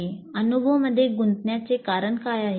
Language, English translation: Marathi, What is the reason for engaging in that experience